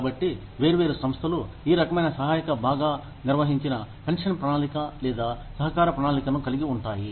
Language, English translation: Telugu, So, different organizations, have this kind of contributory, well defined pension plan, or contribution plan